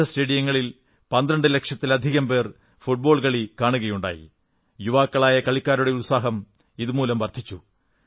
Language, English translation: Malayalam, More than 12 lakh enthusiasts enjoyed the romance of Football matches in various stadia across the country and boosted the morale of the young players